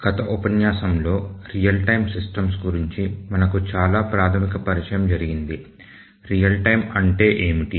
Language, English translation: Telugu, So, in the last lecture, we had a very basic introduction to real time systems